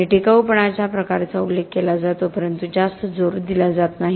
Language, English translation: Marathi, And durability sort of gets mentioned but there is not much emphasis